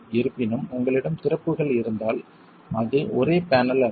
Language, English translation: Tamil, However, if you have openings then it's not one single panel